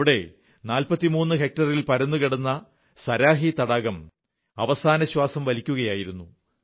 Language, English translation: Malayalam, Here, the Saraahi Lake, spread across 43 hectares was on the verge of breathing its last